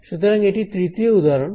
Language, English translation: Bengali, So, this is third example